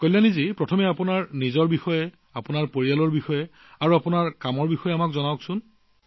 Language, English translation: Assamese, Kalyani ji, first of all tell us about yourself, your family, your work